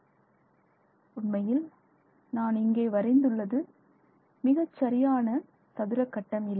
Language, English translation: Tamil, This is in fact even what I have drawn here is not a perfect squared grade